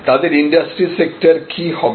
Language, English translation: Bengali, What will be their industry sector